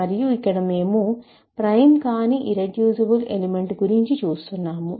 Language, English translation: Telugu, And in this we are trying to look for an irreducible element which is not prime